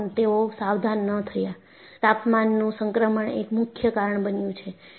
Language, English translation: Gujarati, They would not have got alerted, transition in temperature is a major cause